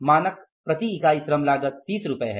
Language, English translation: Hindi, Standard unit labor cost is rupees 30